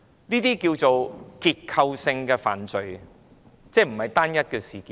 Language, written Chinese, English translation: Cantonese, 這可稱為結構性犯法，即不是單一事件。, This can be considered a structural crime ie . not related to individual cases